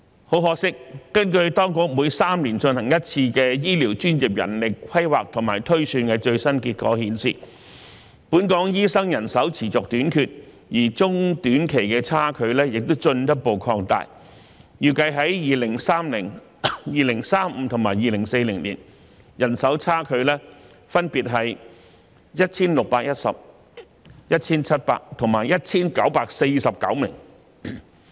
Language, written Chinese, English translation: Cantonese, 很可惜，根據當局每3年進行一次的醫療專業人力規劃和推算的最新結果顯示，本港醫生人手持續短缺，而中短期的差距亦進一步擴大，預計在2030年、2035年及2040年，人手差距分別為 1,610 名、1,700 名和 1,949 名。, Regrettably according to the latest results of the manpower planning and projections for healthcare professionals conducted once every three years by the authorities the manpower shortage of doctors persists in Hong Kong and the gap further widens in both short - and medium - term . The manpower gap is projected to be 1 610 1 700 and 1 949 respectively in year 2030 2035 and 2040